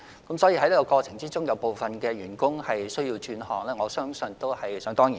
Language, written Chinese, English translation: Cantonese, 在這個過程中，部分員工需要轉行，我相信這是在所難免的。, In the restructuring process I believe it is inevitable that some employees will have to switch to other trades